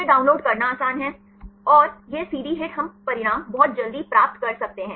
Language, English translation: Hindi, Then it is easy to download, and this CD HIT, we can get the results very quickly